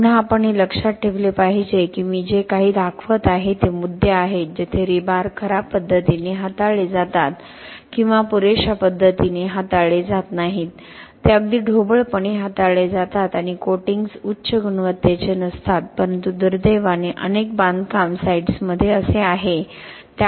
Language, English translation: Marathi, Again we should remember that what I am showing is issues where the rebars are handled in a poor way or in a, not in an adequate manner, it is very roughly handled and coatings are not of high quality but unfortunately this is the case in many construction site, so it is very important to discuss this